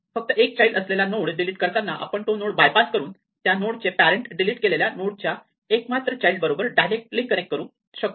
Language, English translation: Marathi, So, the deleted node has only one child we can bypass the child and directly connect the parent of the deleted node to the one child of the deleted node